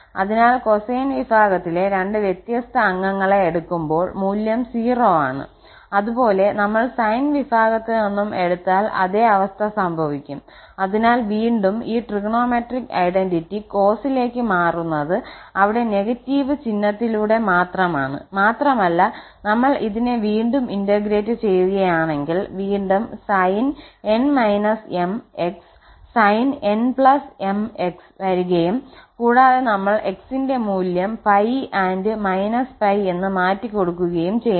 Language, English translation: Malayalam, So, can when we take the two different member of the cosine family the value is 0, similarly if we take from the sine family also the same situation will happen so again this trigonometric identity will lead to the cos only with the negative sign there and when we integrate this again sin n minus m sin n plus m will come and x and when we have to substitute the value pi n minus pi so sin integer times pi is 0 and sin n integer times pi is 0